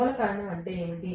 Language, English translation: Telugu, What was the root cause